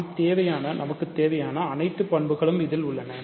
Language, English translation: Tamil, And hence it has all the properties that we want